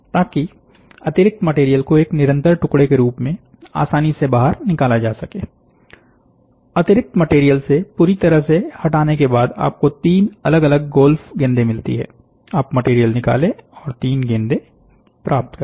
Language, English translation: Hindi, So, that the excess material can be pulled out easily as a continuous piece; the ball after completely removing from excess material, you get three distinct golf balls